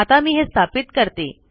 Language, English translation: Marathi, Let me install it